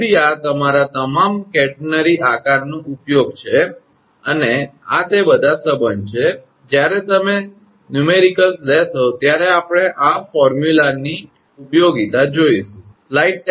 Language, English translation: Gujarati, So, this is your using all catenary shape and these are all relationship when you will take the numericals at the time we will see the usefulness of this formula